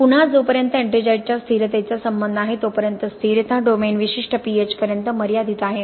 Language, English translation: Marathi, Again as far as stability of ettringite is concerned the stability domain is restricted to certain pH